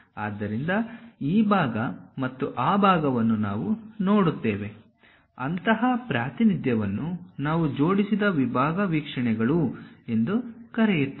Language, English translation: Kannada, So, that part and that part we will see; such kind of representation we call aligned section views